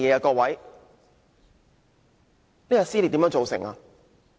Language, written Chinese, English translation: Cantonese, 各位，這撕裂是如何造成的呢？, Honourable Members what causes these rifts?